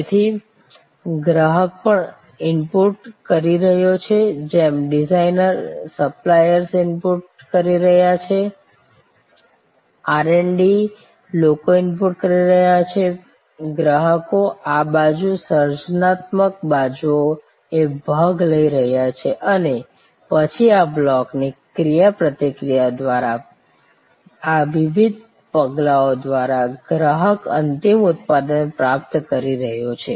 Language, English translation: Gujarati, So, customer is also inputting just as designers are inputting, suppliers are inputting, R& D people are inputting, customers are participating on this side, the creative side and then, through this various steps through the interaction of these blocks, customer is receiving the end product